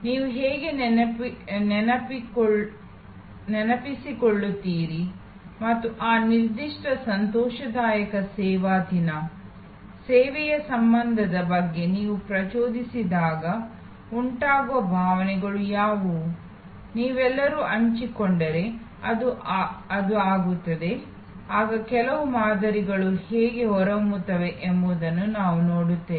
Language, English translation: Kannada, How do you recall and what are the emotions that are evoked when you thing about that particular joyful service day, service occurrence, it will be could if you all share then we will see how certain patterns emerge